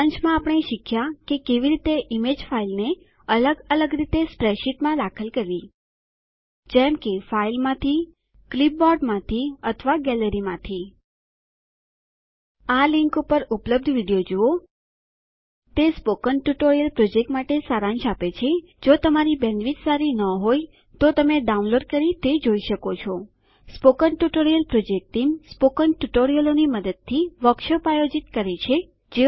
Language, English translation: Gujarati, To summarise, we learned how to Insert an image file into a spreadsheet in many different ways like From a file From the clipboard or From the gallery Watch the video available at the following link It summarises the Spoken Tutorial project If you do not have good bandwidth, you can download and watch it The Spoken Tutorial Project Team Conducts workshops using spoken tutorials